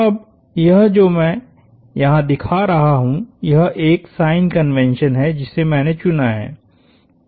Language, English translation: Hindi, Now, this, what I am showing here is a convention I have chosen